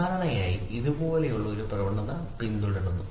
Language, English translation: Malayalam, Generally it follows a trend like this